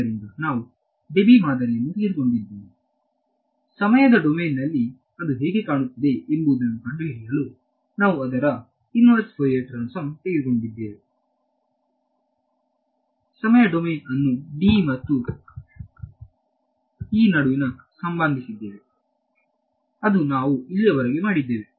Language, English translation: Kannada, So, we took the Debye model we took its inverse Fourier transform to find out what it looks like in the time domain, substituted the time domain into the constitutive relation between D and E, that is all that we have done so far